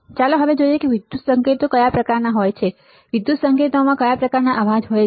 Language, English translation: Gujarati, Let us now see what are the kind of electrical signals, what are the kind of noise present in the electrical signal